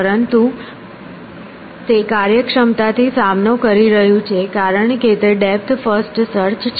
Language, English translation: Gujarati, But, it is faced efficient because it is depth first search